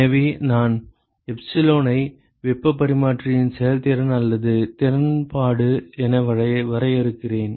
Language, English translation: Tamil, So, I define epsilon as the efficiency or the effectiveness of the heat exchanger ok